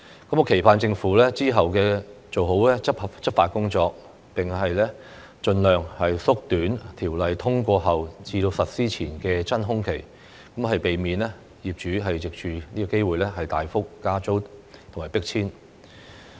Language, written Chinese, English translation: Cantonese, 我期盼政府之後做好執法工作，並盡量縮短條例通過後至實施前的"真空期"，避免業主藉此機會大幅加租或迫遷。, I hope that the Government will do a good job in enforcing the law and strive to shorten the vacuum period between the passage and commencement of the Ordinance so that landlords will not take this opportunity to significantly increase rents or evict tenants